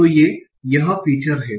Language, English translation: Hindi, So this is this feature